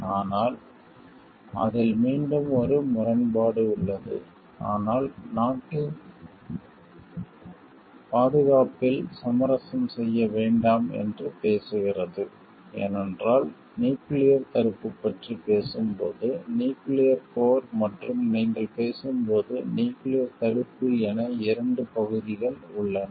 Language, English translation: Tamil, But again there is a paradox about it so, but a with which talks of not to compromise with the security of the country, because when we are talking of nuclear deterrence, there are two parts like nuclear warfare and, nuclear deterrence when you are talking of nuclear deterrence, it is the security part of the like self defense and making much of secure